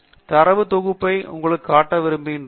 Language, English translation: Tamil, Just want to show you the data set